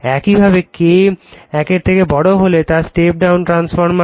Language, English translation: Bengali, So, that is K greater than for step down transformer